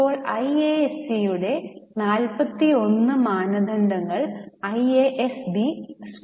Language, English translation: Malayalam, Now, ISAB has adopted 41 standards of IAC